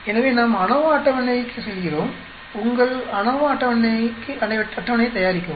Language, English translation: Tamil, So we go to the ANOVA table, prepare your ANOVA table